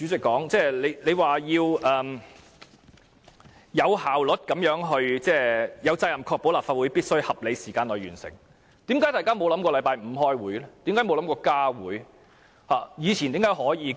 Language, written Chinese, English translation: Cantonese, 我最後要對主席說，他有責任確保立法會必須在合理時間內完成審議《條例草案》，為何大家沒有想過在星期五開會？, Last but not least I would like to tell the President that he has the responsibility to ensure that the Legislative Council must complete the scrutiny of the Bill within reasonable time . Why have we not considered having a meeting on Friday?